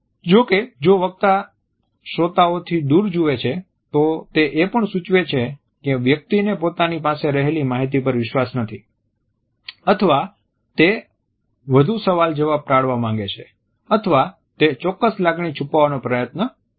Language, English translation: Gujarati, However, if the speaker looks away from the audience, it suggests that either the person does not have confidence in the content or wants to avoid further questioning or at the same time may try to hide certain feeling